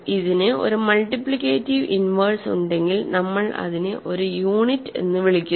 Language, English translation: Malayalam, If it does have a multiplicative inverse, we call it a unit ok